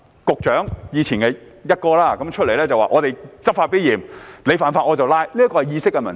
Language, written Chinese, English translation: Cantonese, 局長——前"一哥"——會出來說："我們執法必嚴，你犯法，我便抓"，這是意識的問題。, The Secretary who is the former CP would come forward and say We will enforce the law strictly; if you break the law I will arrest you